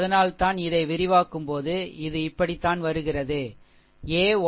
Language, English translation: Tamil, So, that is why this when you expand this it is coming like this, right